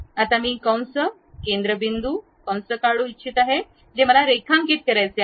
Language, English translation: Marathi, Now, I would like to draw an arc center point arc I would like to draw